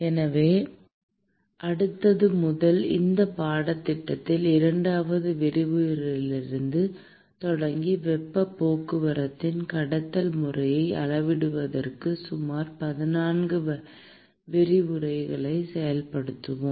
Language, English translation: Tamil, So, starting from the next starting from the second lecture in this course, we will spend about 14 lectures quantitating the conduction mode of heat transport